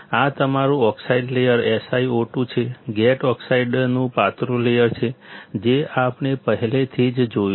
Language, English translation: Gujarati, This is your oxide layer SiO2, thin layer of gate oxide, as we already have seen